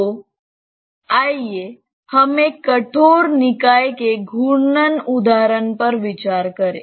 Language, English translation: Hindi, So, let us consider a rigid body rotation example